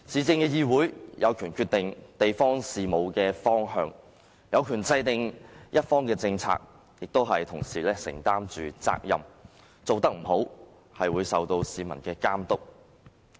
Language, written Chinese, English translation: Cantonese, 市議會有權決定地方事務的方向，制訂政策，亦同時受到市民的監督，做得不好就要承擔責任。, A city council has the power to determine directions of local affairs and formulate policies while being subject to supervision by the people in that responsibilities will be pursued for wrongdoings